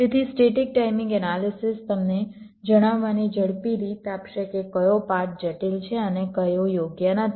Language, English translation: Gujarati, so static timing analysis will give you a quick way of telling which of the paths are critical and which are not right